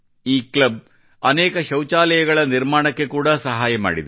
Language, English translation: Kannada, It has also helped in the construction of many toilets